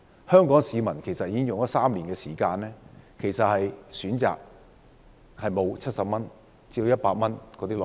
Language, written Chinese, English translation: Cantonese, 香港市民其實已經有3年不能選擇70元至100元的內地活雞。, In fact Hong Kong people have been deprived of the option to buy a Mainland live chicken for 70 to 100 for already three years